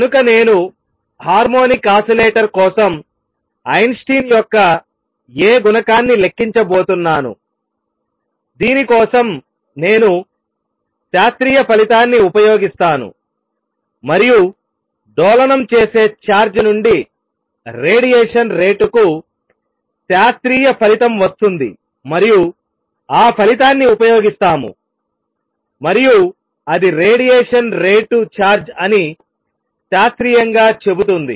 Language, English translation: Telugu, So, I am going to calculate Einstein’s A coefficient for harmonic oscillator, for this I will use a classical result and the classical result for rate of radiation from an oscillating charge and use that result and that says classically it is rate of radiation form a charge